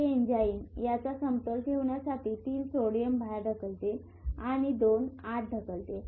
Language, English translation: Marathi, This enzyme pushes 3 sodium outside and 2 inside to keep the balance